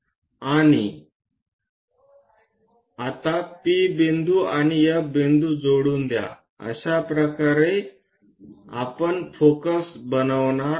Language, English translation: Marathi, Now join P point and F point; this is the way we construct focus